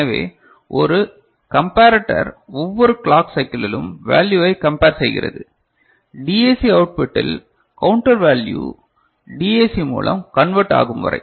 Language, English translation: Tamil, So, one comparator which is comparing the value, in each clock cycle till the DAC output of it, the counter output converted through a DAC